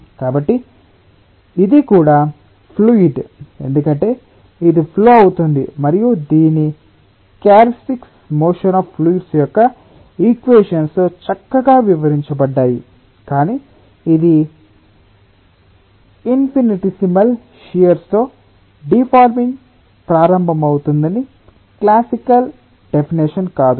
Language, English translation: Telugu, so this, that is also a fluid, because it flows and, ah, its many of its characteristics are explained nicely with the equations of motion of fluids, but it is not that classical definition, that it will start deforming with infinitesimal shear